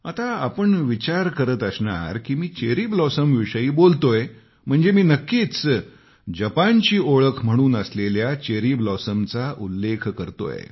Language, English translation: Marathi, You might be thinking that when I am referring to Cherry Blossoms I am talking about Japan's distinct identity but it's not like that